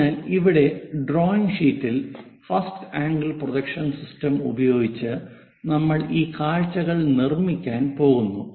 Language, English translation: Malayalam, So, here on the drawing sheet, using first angle projection system we are going to construct this views